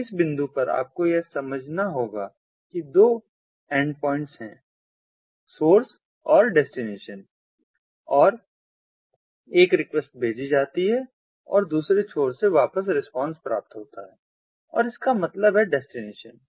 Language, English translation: Hindi, so at this point you know you have to understand that there are two endpoints, the source and the destination, and ah a request is sent and a response is ah received back from the ah in the other endpoint